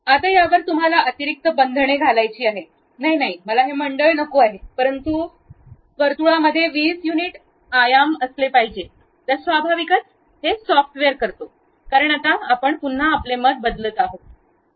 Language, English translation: Marathi, Now, over that, you want to put additional constraint; no, no, I do not want this circle, but a circle supposed to have 20 units of dimension, then naturally the software does because now you are again changing your view